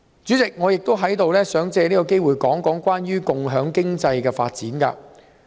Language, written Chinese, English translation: Cantonese, 主席，我亦想藉此機會談談有關共享經濟的發展。, President I would also like to take this opportunity to talk about the development of sharing economy